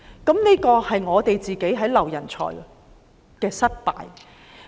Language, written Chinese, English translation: Cantonese, 這便是我們在挽留人才方面的失敗。, This is our failure in retaining talents